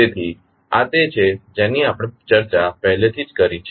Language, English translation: Gujarati, So, this is what we have already discussed